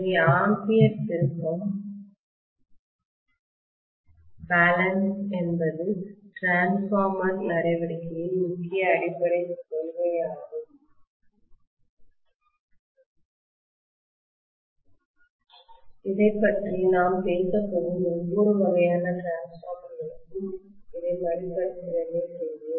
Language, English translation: Tamil, So the ampere turn balance essentially is the major underlying principle of transformer action we will revisit this for every kind of transformer that we are going to talk about